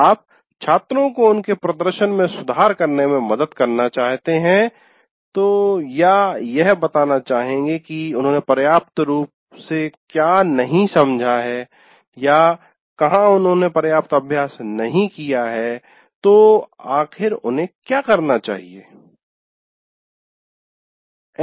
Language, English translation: Hindi, You would like to help the students in improving their performance or wherever point out where they have not adequately understood or where they have not adequately practiced, what is it they should do